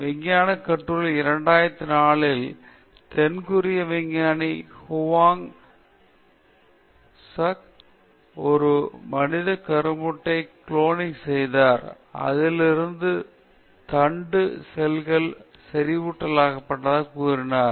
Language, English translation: Tamil, In an article in science, in 2004, the South Korean scientist Hwang Woo suk claimed that he cloned a human embryo and extracted stem cells from it